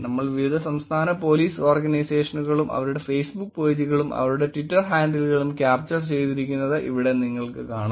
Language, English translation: Malayalam, If you see here, we have been capturing different State Police Organizations, their Facebook pages and their Twitter handle